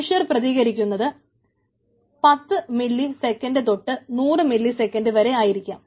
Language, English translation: Malayalam, so human response is ten to milliseconds, ten to hundred milliseconds